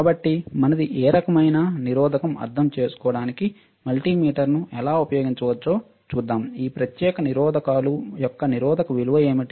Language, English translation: Telugu, So, we will see how we can use the multimeter to understand what kind of what is our what is a resistance value of this particular resistors all right